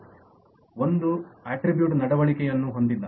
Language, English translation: Kannada, that is, an attribute does not have a behaviour